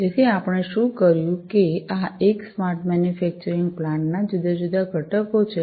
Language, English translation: Gujarati, So, what did we that these are the different components of a smart manufacturing plant